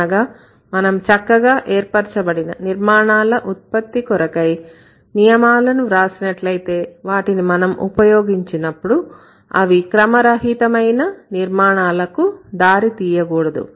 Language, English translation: Telugu, In other words, if we write rules for the creation of well formed structures, we have to check that these rules when applied logically wouldn't lead to ill formed structures